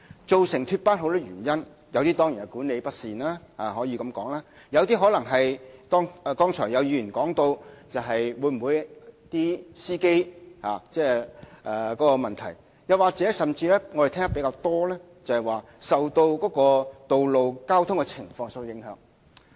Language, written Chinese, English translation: Cantonese, 脫班的問題基於眾多原因，當然可能包括管理不善，亦有可能是剛才有議員提到的是司機的問題，甚或是我們聽得較多，是由於道路交通情況所致。, The lost trip problem is caused by many factors . Certainly it may be ascribed to unsatisfactory management bus captains problems as mentioned by certain Members just now or even road traffic conditions as we have heard more often